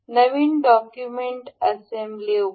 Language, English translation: Marathi, Open new document assembly